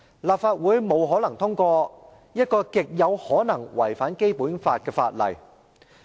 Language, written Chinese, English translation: Cantonese, 立法會不可能通過一項極可能違反《基本法》的法案。, There is no way that the Legislative Council should pass a Bill that is extremely likely to contravene the Basic Law